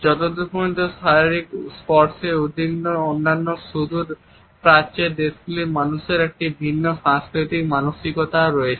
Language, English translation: Bengali, However, where is in Russia people are comfortable as far as physical touch is concerned people of other far Eastern countries have a different cultural mindset